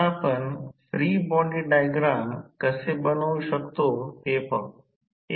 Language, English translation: Marathi, Now, let us see how we can create the free body diagram